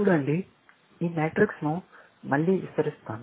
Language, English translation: Telugu, See; let me explain this matrix, again